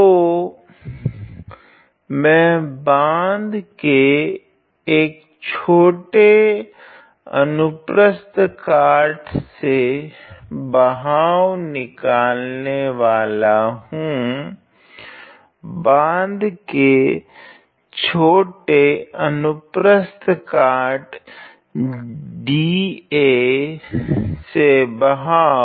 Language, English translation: Hindi, So, I am going to find the flux the flux through a small cross section of the dam, the flux through a small cross section the flux through the small cross section dA of the dam ok